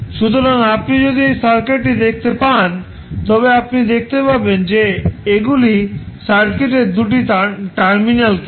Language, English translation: Bengali, so, if you see this circuit you will see if these are the 2 terminals of the circuit